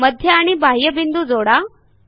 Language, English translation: Marathi, Join centre and external point